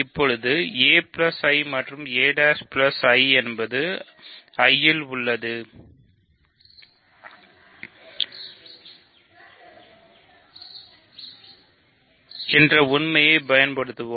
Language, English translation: Tamil, Now, let us use the fact that a plus I is a prime plus I prime I, this means a minus a prime is in I